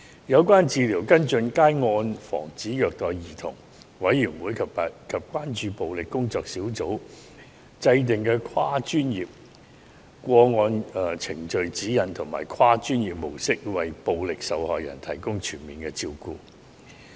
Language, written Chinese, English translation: Cantonese, 有關治療跟進皆按照防止虐待兒童委員會及關注暴力工作小組制訂的跨專業個案程序指引及跨專業模式，為暴力受害人提供全面的照顧。, The relevant treatments and follow - up actions and holistic care will be provided to violence victims in accordance with the multi - disciplinary guidelines and approach developed by the Committee on Child Abuse and Working Group on Combating Violence